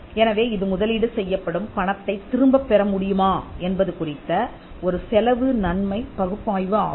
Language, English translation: Tamil, So, it is kind of a cost benefit analysis to see whether the money that is invested could be recouped